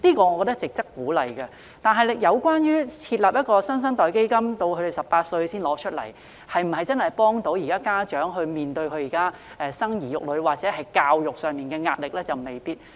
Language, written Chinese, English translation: Cantonese, 我覺得兒童發展基金值得鼓勵，但設立"新生代基金"，兒童年滿18歲才可提取，是否真的能夠幫助家長面對生兒育女或教育上的壓力呢？, I consider that the Child Development Fund is worthy of encouragement . As for the New Generation Fund withdrawals can only be made when children reach the age of 18 . Can this genuinely help parents face the pressure of raising children or education?